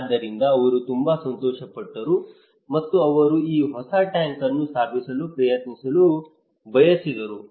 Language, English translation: Kannada, So he was very happy okay, and he wanted to try this new tank to install